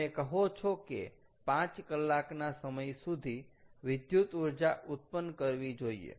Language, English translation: Gujarati, and you say that there can be released for generating electricity over a five hour period